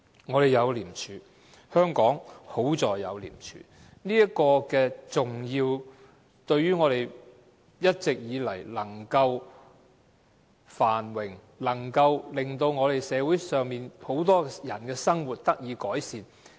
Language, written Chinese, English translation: Cantonese, 我們有廉署，幸好香港有廉署，令我們一直以來能夠繁榮，令社會上很多人的生活得以改善。, We have ICAC and it is lucky that Hong Kong has ICAC . As a result we have been enjoying prosperity all these years and many people in society have been able to improve their livelihood